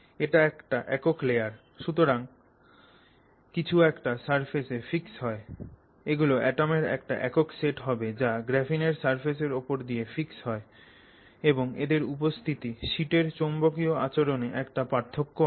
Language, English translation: Bengali, So, this is a single layer so something fixes onto the surface, it's there will also essentially be a single set of atoms which fix onto the surface of this graphene and their presence makes a difference to the magnetic behavior of the sheet as a whole